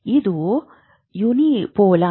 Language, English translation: Kannada, This is a unipolar thing